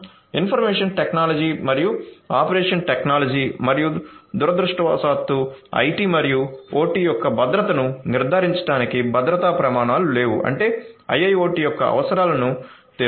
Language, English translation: Telugu, Information technology and operation technology and there is unfortunately no security standards that has that is in place to ensure the security of IT and OT; that means, catering to the requirements of IIoT